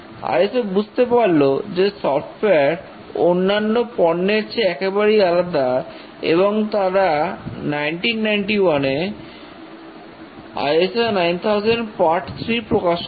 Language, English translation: Bengali, It recognized that there is a radical difference between software and other product and came up with a new document which is ISO 9,000 part 3 few years later